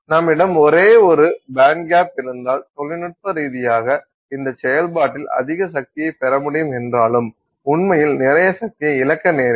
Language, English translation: Tamil, If you have only one band gap, although technically you can capture most of the energy in this process, you actually end up losing a lot of it